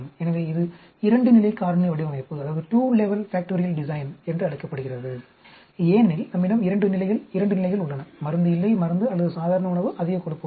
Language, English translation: Tamil, So, this is called a two level factorial design because we have two, two levels: no drug, drug or normal diet, high fat